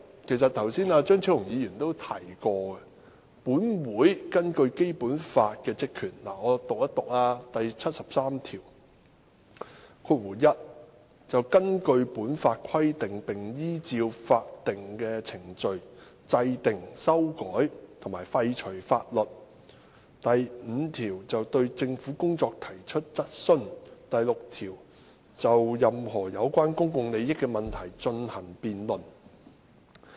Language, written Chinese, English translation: Cantonese, 其實剛才張超雄議員都提過本會在《基本法》下的職權，我讀一讀第七十三條"一根據本法規定並依照法定程序制定、修改和廢除法律；五對政府的工作提出質詢；六就任何有關公共利益問題進行辯論"。, In fact Dr Fernando CHEUNG has mentioned just now the powers and functions of this Council under the Basic Law . Let me read out Article 73 1 To enact amend or repeal laws in accordance with the provisions of this Law and legal procedures; 5 To raise questions on the work of the government; 6 To debate any issue concerning public interests . President according to the design of the Basic Law the constitutional powers and functions of this Council have long been castrated